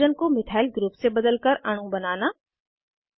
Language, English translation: Hindi, * Build molecules by substituting hydrogen with a Methyl group